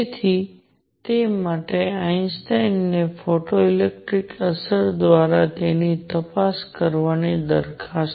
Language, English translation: Gujarati, So, for that Einstein proposed checking it through photo electric effect